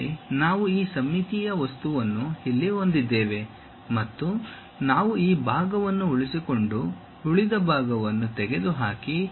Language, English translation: Kannada, Again we have this symmetric object here and we would like to retain this part, remove this part